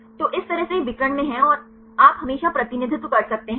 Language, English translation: Hindi, So, this way it is in the diagonal you can see always represent